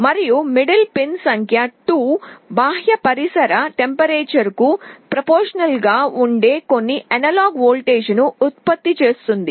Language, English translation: Telugu, And the middle pin number 2 will be generating some analog voltage that will be proportional to the external ambient temperature